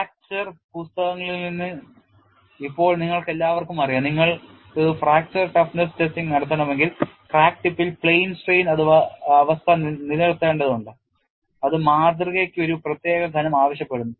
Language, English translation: Malayalam, See right now from fracture books you all know that if we have to do fracture toughness testing, you have to maintain plane strain condition at the crack tip which demands a particular thickness for the specimen